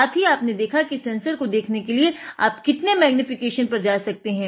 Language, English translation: Hindi, We have seen how we have seen up to what magnification, we have to go to see the sensor itself